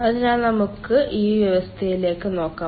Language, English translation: Malayalam, so let us look into this provision